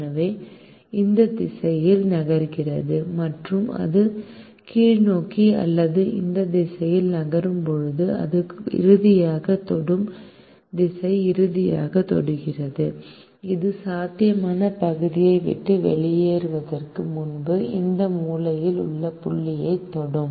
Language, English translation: Tamil, so it moves in this direction and as it moves downwards or in the direction, in this direction, it finally touches this corner point, finally touches this corner point